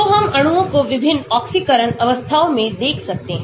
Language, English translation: Hindi, So, we can look at the molecules at different oxidation states